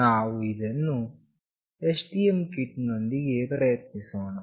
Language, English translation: Kannada, We will try this out with the STM kit